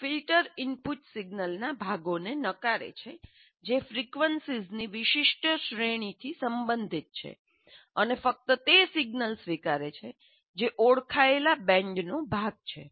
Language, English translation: Gujarati, A filter is, it rejects components of the input signal which belong to a certain range of frequencies and accepts only the signal that is part of an identified band